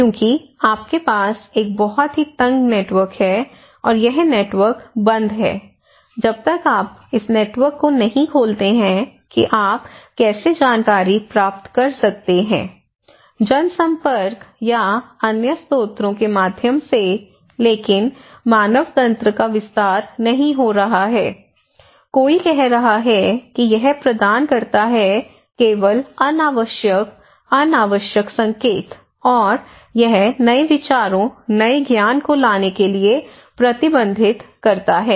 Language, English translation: Hindi, Because you have a very tight network and this network is closed, unless you open this network how come you get the informations of course, you can get through mass media or other sources but human network is not expanding so, somebody as saying that it provides only unnecessary redundant informations and it prohibits to bring new ideas, new thoughts, new knowledge okay